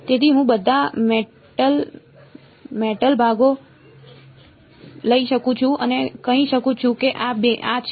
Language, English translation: Gujarati, So, I can take all the metal parts and say this is